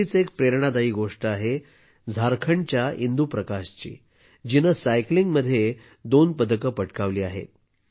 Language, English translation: Marathi, Another such inspiring story is that of Indu Prakash of Jharkhand, who has won 2 medals in cycling